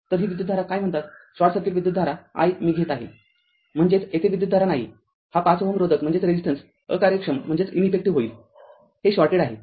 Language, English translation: Marathi, So, this current we are taking i what you call that your short circuit current; that means, here no current here 5 5 ohm this thing resistance actually it will ineffective the because this is shorted